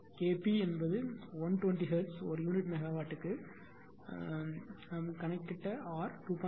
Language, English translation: Tamil, And all these parameters are given here K p is equal to 120 hertz per unit megawatt some we calculated, R is equal to 2